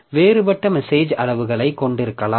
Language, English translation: Tamil, So, you can have different message sizes